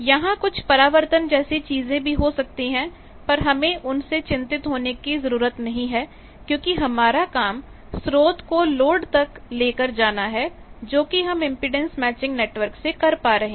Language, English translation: Hindi, There may be reflections and things we are not bothered about that because our job is transport from source to load that is achieved by impedance matching network